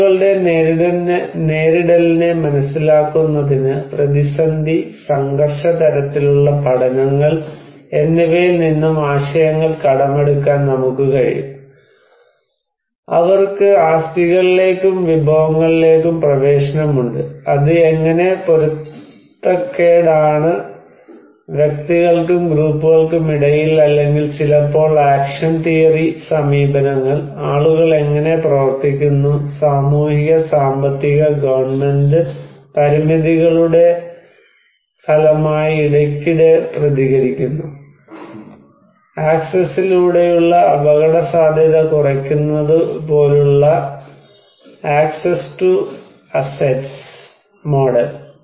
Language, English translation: Malayalam, Well to understand people's coping, we can also borrow the ideas from crisis and conflict kind of studies, who have the access to assets and resources and how it matter of conflict between individuals and groups or maybe sometimes action theory approaches, how people act, react frequently as a result of social economic and governmental constraints and model access to assets like a mitigation of vulnerability through access